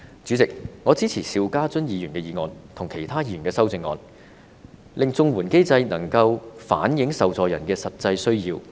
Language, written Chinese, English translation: Cantonese, 主席，我支持邵家臻議員的議案，以及其他議員的修正案，令綜援機制能夠反映受助人的實際需要。, President I support Mr SHIU Ka - chuns motion as well as the amendments proposed by other Members in order that the CSSA mechanism can reflect the actual needs of the recipients